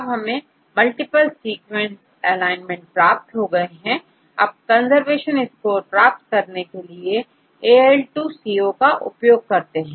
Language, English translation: Hindi, Now, we have got the alignment multiple sequence alignment, we will use AL2CO AL2CO to obtain the conservation score